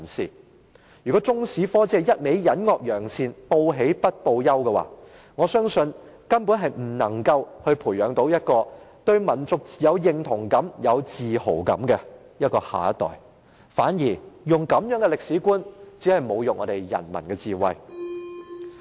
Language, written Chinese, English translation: Cantonese, 因此，如果中史科只是隱惡揚善，報喜不報憂，我相信它根本無法培育出對民族有認同感和有自豪感的下一代，這種歷史觀反而只是侮辱人民的智慧。, Therefore if the Chinese History curriculum only hides wrongdoings and praises good deeds only reports what is good and conceals what is unpleasant I believe it would fail to nurture the next generation to have a sense of national identification and pride; conversely such kind of historical perspective is an insult to the wisdom of the people